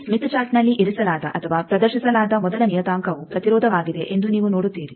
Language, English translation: Kannada, You see that the first parameter that is put or displayed in this smith chart is Impedance